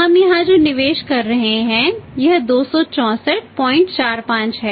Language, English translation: Hindi, This investment here we are taking here it is 264